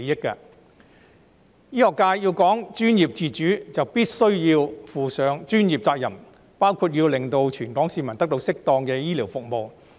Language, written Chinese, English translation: Cantonese, 醫學界既然講求專業自主，就必須負上專業責任，包括讓全港市民得到適當的醫療服務。, Since the medical sector emphasizes professional autonomy it must shoulder its professional responsibilities including ensuring that all Hong Kong people receive appropriate healthcare services